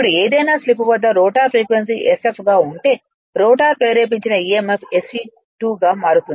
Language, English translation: Telugu, Now at any slip s the rotor frequency being sf right any therefore, the rotor induced emf changes to se 2